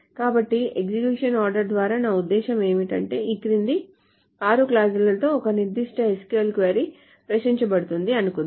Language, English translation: Telugu, So what I mean by the execution order is that suppose a particular SQL query with this following six clauses are being queried